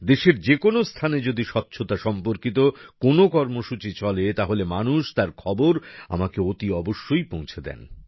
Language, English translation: Bengali, If something related to cleanliness takes place anywhere in the country people certainly inform me about it